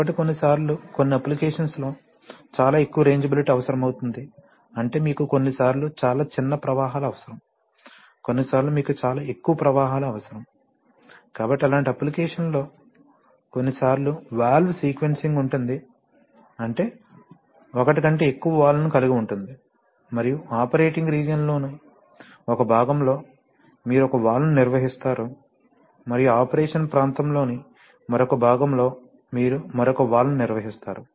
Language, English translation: Telugu, So sometimes in some applications it may happen that you need a very high rangeability, that is you can sometimes need very, very small flows, sometimes you need very high flows, so in such applications, you sometimes have to, you know have valve sequencing, that is you actually have more than one valve and in one part of the operating region, you operate one valve and in another part of the operation region you operate another valve